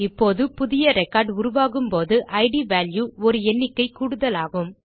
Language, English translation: Tamil, Now, every time a new record is created the id values will increment by one